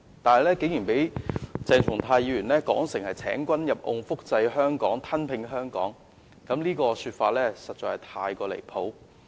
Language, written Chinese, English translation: Cantonese, 不過，鄭議員竟然描述為"請君入甕"、"複製香港"、"吞併香港"，實在太離譜。, But Dr CHENG nonetheless dismissed it as a trap a replica of Hong Kong and an annexation of Hong Kong . This is honestly very ridiculous